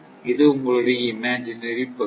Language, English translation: Tamil, And this side is your imaginary part